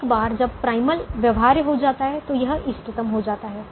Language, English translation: Hindi, once the primal becomes feasible it becomes optimum